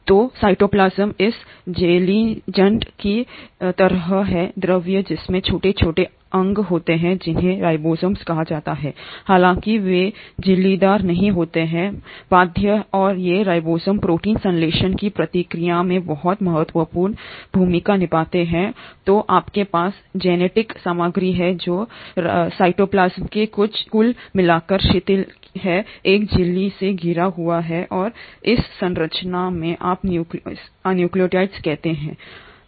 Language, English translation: Hindi, So the cytoplasm is like this jellylike fluid which has the small tiny organelles called ribosomes though they are not membrane bound and these ribosomes play a very important role in the process of protein synthesis and then you have the genetic material which is kind of aggregated loosely in the cytoplasm not surrounded by a membrane and this structure is what you call as the nucleoid